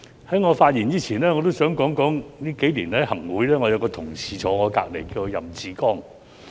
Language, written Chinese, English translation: Cantonese, 在我發言前，我也想說說，數年來，在行政會議上，有一位同事坐在我身旁，他叫任志剛。, Before I start my speech I would like to say that over the past few years I have had a colleague sitting next to me in the Executive Council . His name is Joseph YAM